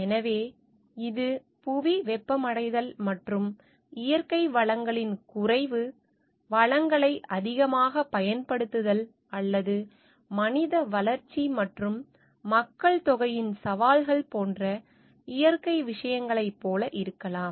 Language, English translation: Tamil, So, it could be like natural things like global warming, and depletion of natural resources, overuse of resources or like the with the challenges of human growth and in the population also